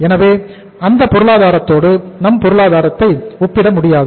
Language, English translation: Tamil, So we cannot compare those economies with our economy